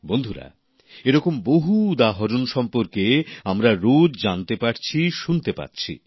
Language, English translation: Bengali, one is getting to see and hear of many such examples day by day